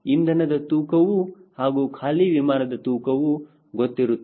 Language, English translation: Kannada, then weight of fuel and you say empty weight